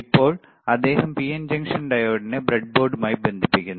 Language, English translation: Malayalam, Now he is connecting PN junction diode to the breadboard